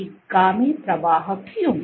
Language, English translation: Hindi, Why retrograde flow